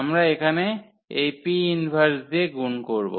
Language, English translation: Bengali, We multiply by this P inverse here